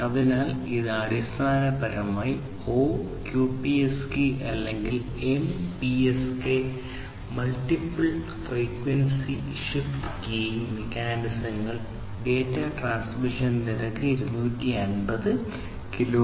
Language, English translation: Malayalam, So, this basically uses O QPSK or MPSK multiple phase frequency shift keying mechanisms for data transmission over rates such as 250 kbps and so on